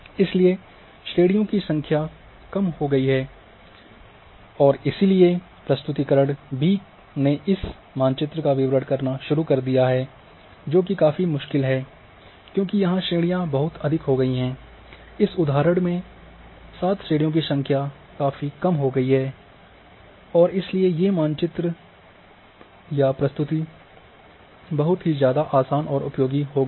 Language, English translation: Hindi, So, number of classes has reduced and therefore, the interpretation b is start interpreting this map it is rather difficult because classes are too many, but here number of classes have reduced say in this example 7 and therefore, interpretation of just maps or presentation of these maps becomes much easier and useful also